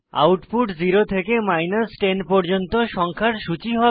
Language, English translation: Bengali, The output will consist of a list of numbers 0 through 10